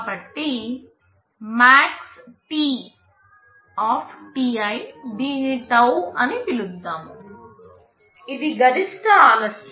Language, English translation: Telugu, So, maxt{ti}, let us call it taum, is the maximum delay